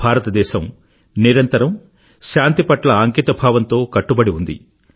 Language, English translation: Telugu, India has always been resolutely committed to peace